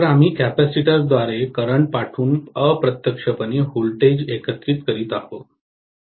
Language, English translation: Marathi, So, we are integrating the voltage indirectly by passing the current through a capacitor